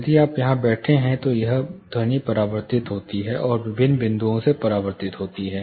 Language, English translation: Hindi, If you are seated here, this sound gets reflected and re reflected from different points